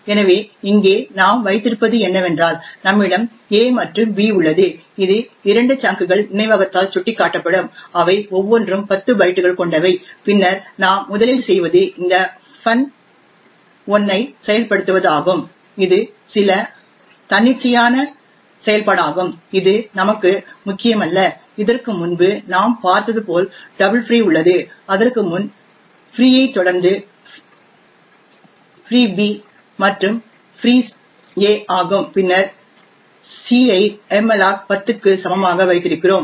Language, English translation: Tamil, So what we have here is that we have a and b which gets pointers pointed to by two chunks of memory which is of 10 bytes each and then what we do first is invoke this function 1 it is some arbitrary function which is not important for us then we have the double free as we have seen before that is the free a followed by free b and then free a and then we have the c equal to malloc 10